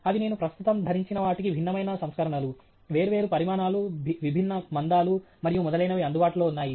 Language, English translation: Telugu, They are just simply different versions what I am currently wearing, different sizes, different thicknesses and so on are available